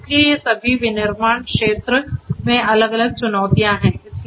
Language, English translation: Hindi, So, all of these are different challenges in the manufacturing sector